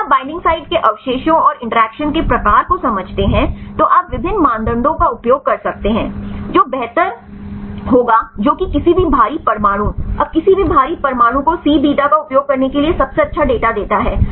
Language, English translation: Hindi, You can use different criteria if you understand the binding site residues and the type of interactions, which one will be better which one gives the best data either to use C beta any heavy atoms now any heavy atoms